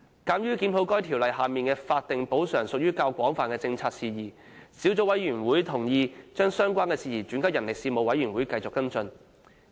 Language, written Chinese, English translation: Cantonese, 鑒於檢討《條例》下的法定補償屬於較廣泛的政策事宜，小組委員會同意將相關事宜轉交人力事務委員會繼續跟進。, Given that the review of the statutory compensation under PMCO is a wider policy issue the Subcommittee has agreed to refer this issue to the Panel on Manpower for follow - up